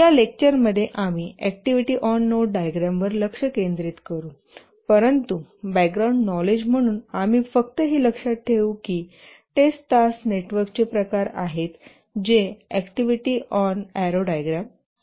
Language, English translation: Marathi, And in this lecture we will focus on the activity on node diagram, but as a background knowledge, we will just keep in mind that there is a variant of the task networks which are activity on RO diagram